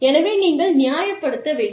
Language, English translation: Tamil, So, you have to justify